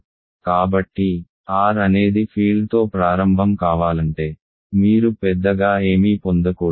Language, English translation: Telugu, So, if R is a field be to begin with you should not get anything bigger